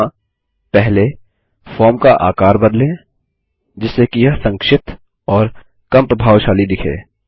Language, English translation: Hindi, Here, let us first, resize the form, so it looks compact and less imposing